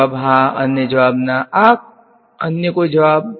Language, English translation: Gujarati, Answer is yes, answer is no; any other answers